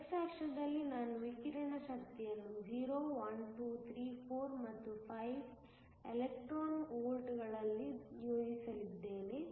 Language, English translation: Kannada, On the x axis, I am going to plot the energy of the radiation in electron volts so 0, 1, 2, 3, 4 and 5